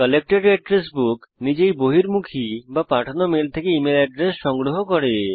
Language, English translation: Bengali, Collected address book automatically collects the email addresses from outgoing or sent mails